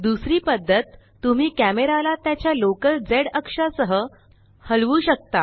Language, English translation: Marathi, Second way, you can move the camera along its local z axis